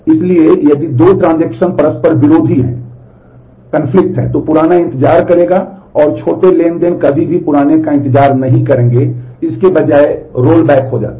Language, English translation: Hindi, So, if two transactions are conflicting then the older one will wait; and the younger transaction will never wait for the older one, they are rolled back instead